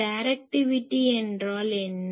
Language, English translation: Tamil, What is directivity